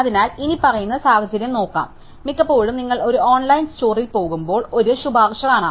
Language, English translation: Malayalam, So, let us look at the following situation, very often when you go to an online store, you find a recommendation